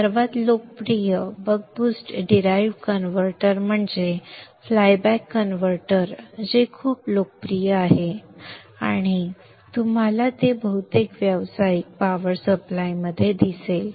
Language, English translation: Marathi, One of the most popular Buck Boost derived converter is the flyback converter which is very very popular and you will see it in most of the commercial power supplies